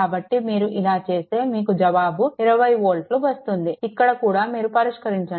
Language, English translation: Telugu, So, when you are and answer is 20 volt, here also you please solve